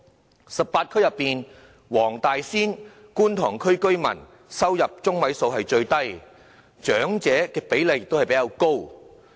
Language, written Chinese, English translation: Cantonese, 在18區之中，黃大仙和觀塘區的居民收入中位數最低，長者比例則比較高。, Among the 18 districts Wong Tai Sin and Kwun Tong Districts have the lowest median resident income and the highest proportion of elderly persons